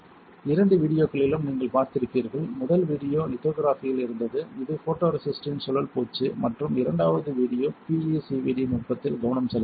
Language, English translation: Tamil, You have seen in both the videos the first video was on lithography which is more on the spin coating of the photoresist and the second video was focusing on the the PCVD technique right